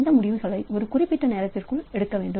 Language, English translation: Tamil, The decision should be within a finite amount of time